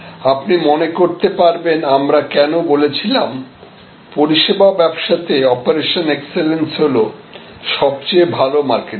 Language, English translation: Bengali, So, that is why, if you remember we had discussed that in service business often operational excellence is the best marketing